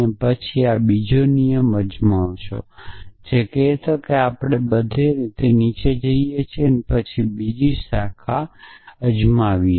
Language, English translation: Gujarati, And then try this second rule essentially which saying we go all the way down and then try the other branch